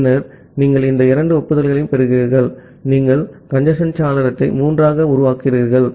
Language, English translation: Tamil, Then you are getting these two acknowledgement, you are you are making congestion window to 3